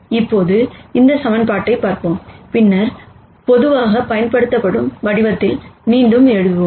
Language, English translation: Tamil, Now let us look at this equation, and then rewrite it in a form that is generally used